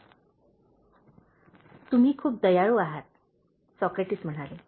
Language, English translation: Marathi, ” “That’s very kind of you,” Socrates said